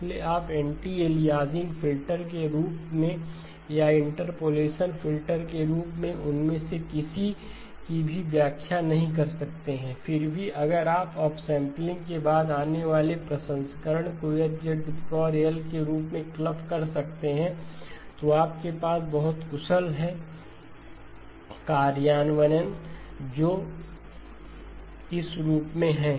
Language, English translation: Hindi, So you cannot interpret either of them as an anti aliasing filter or as an interpolation filter, nevertheless if you can whatever processing that comes in a after up sampling if it can be clubbed in the form of H of Z power L, you have a very efficient implementation which is in this form